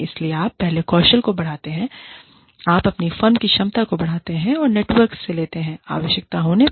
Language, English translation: Hindi, So, you enhance your skills, you enhance the capability of your firm, and pull in from the network, as and when required